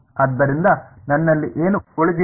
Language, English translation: Kannada, So, what I am left with